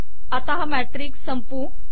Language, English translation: Marathi, And then, lets close this matrix